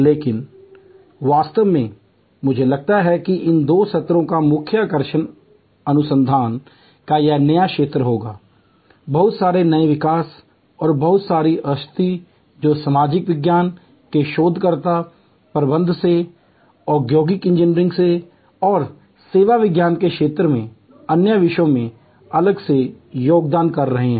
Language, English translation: Hindi, But, really speaking I think the highlight of these two sessions will be this exciting new area of lot of research, lot of new developments and lot of insights that are being contributed by researcher from social science, from management, from industrial engineering and from different other disciplines in the domain of service science